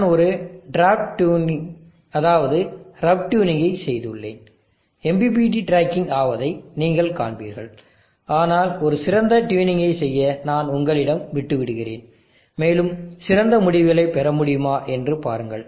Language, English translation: Tamil, I have just done a draft tuning is a rough tuning and you will see that the MPPT is tracking, but I will leave it to you to do a fine tuning and see if you can get better results